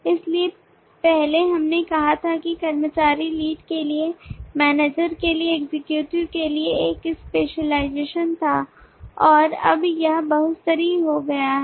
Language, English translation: Hindi, so earlier we had let say the employee was a specialization for executive for lead and for manager and now that has just become multi layered